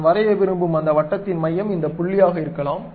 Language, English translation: Tamil, Circle I would like to draw, maybe center of that circle is this point